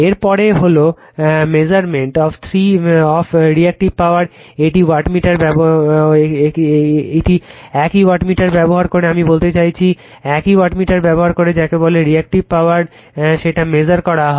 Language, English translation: Bengali, Next is the Measurement of Reactive Power using the same wattmeter , right, I mean , using the your same wattmeter you measure the your what you call the , your Reactive Power